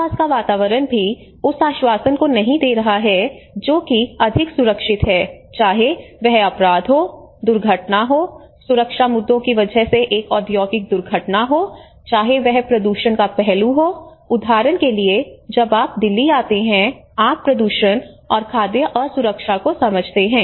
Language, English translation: Hindi, And also the surrounding atmosphere the environment is not also giving that guarantee that that is more safe you know, whether it is a crime, whether it is an accident, whether it is an industrial accident because of safety issues, whether it is a pollution aspect like in the moment you come to the city of Delhi you actually understand that kind of pollution, right